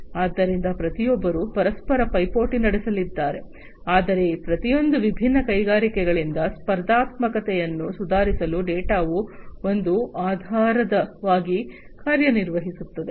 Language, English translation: Kannada, So, you know, everybody is going to compete with one another, but the data will serve as a basis for improving upon this competitiveness individually by each of these different industries